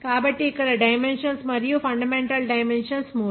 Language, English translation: Telugu, so here the number of dimensions and fundamental dimensions is three